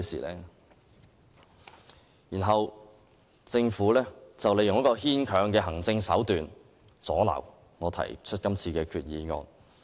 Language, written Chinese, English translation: Cantonese, 其後，政府運用牽強的行政手段，阻撓我提出今次的擬議決議案。, The Government then made use of an unconvincing excuse to obstruct my moving of the proposed resolution through administrative means